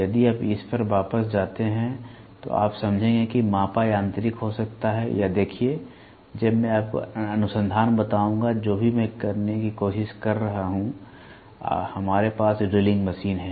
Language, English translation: Hindi, If you go back to this, you will understand measured can be mechanical or see, now I will tell you the research which I am also trying to do, we have drilling machine